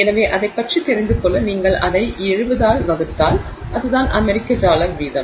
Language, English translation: Tamil, So, about, so that's if you divide that by about 70 which is what the US dollar rate is